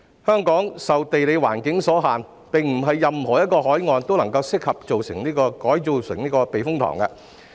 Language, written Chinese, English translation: Cantonese, 香港受地理環境所限，並不是任何一個海岸都適合建成避風塘。, Due to the geographical constraints of Hong Kong not all shores are suitable for the development of typhoon shelters